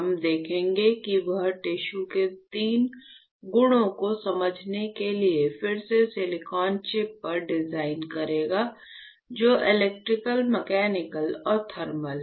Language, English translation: Hindi, And we will see and that will design on the silicon chip again for understanding three properties of tissue which are electrical, mechanical and thermal